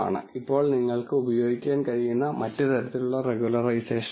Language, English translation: Malayalam, Now there are other types of regularization that you can use